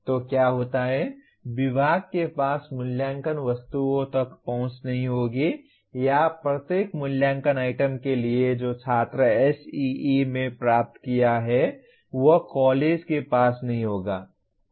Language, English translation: Hindi, So what happens is the department will not have access to assessment items or for each assessment item what marks the student has obtained in SEE the college will not have access to that